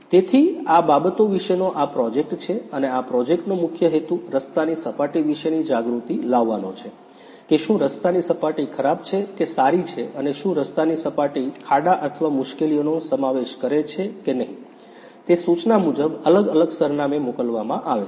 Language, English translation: Gujarati, So, this is the project about these things and the main purpose of this project is to aware about the road surfaces whether the road surface is bad or good and whether the road surface consists of potholes or bumps or not according to the notification is sent to the different address